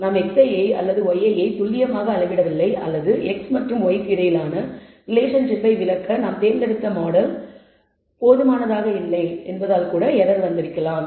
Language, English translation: Tamil, This could be because we have not measured x i precisely or y i precisely or it could be that the model form we have chosen is perhaps inadequate to explain the relationship, between x and y